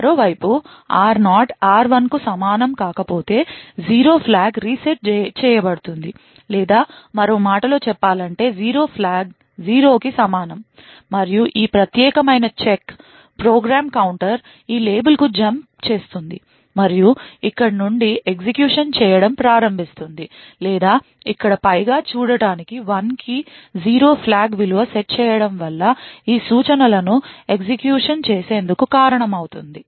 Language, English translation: Telugu, On the other hand if r0 is not equal to r1 then the 0 flag is reset or in other words the 0 flag is equal to 0 and this particular check would cause the program counter to jump to this label and start to execute from here, or in other words what we see over here is a value of 0 flag set to 1 would cause these instructions to be executed